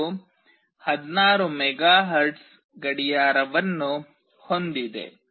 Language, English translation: Kannada, It has a 16 MHz clock